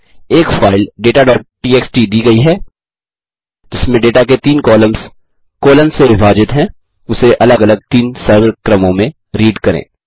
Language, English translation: Hindi, Given a file data.txt with three columns of data separated by spaces, read it into 3 separate simple sequences